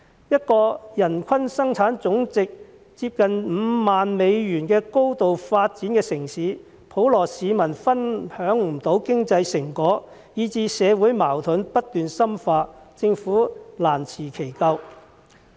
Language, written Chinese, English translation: Cantonese, 一個人均生產總值接近5萬美元的高度發展城市，普羅市民分享不到經濟成果，以至社會矛盾不斷深化，政府難辭其咎。, While we are a highly developed city with a per capita gross domestic product of nearly US50,000 the general public is unable to share the fruit of our economic success thus resulting in the continuous deepening of social conflicts . The Government cannot escape responsibility for such a situation